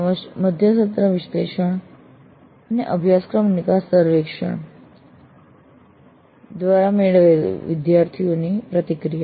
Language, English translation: Gujarati, Also student feedback obtained through mid course surveys as well as course and survey